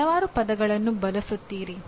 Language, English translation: Kannada, Using several words